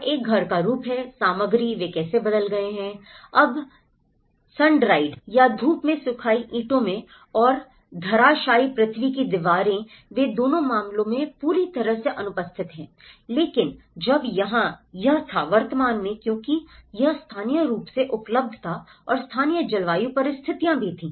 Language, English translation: Hindi, And there is a house form, materials, how they have changed, now today in sundried bricks and rammed earth walls they are completely absent in both the cases but whereas, here it was present because it was locally available and the local climatic conditions